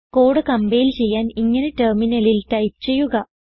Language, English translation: Malayalam, To compile the code, type the following on the terminal